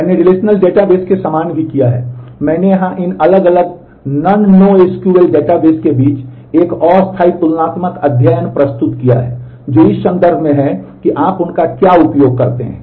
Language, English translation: Hindi, I have also done similar to the relational database, I have presented here a tentative comparative study between these different non no SQL databases in terms of what is the context in which you use them